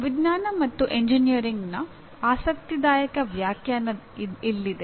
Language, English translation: Kannada, Now, here is an interesting definitions of Science and Engineering